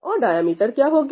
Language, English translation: Hindi, And what will be the diameter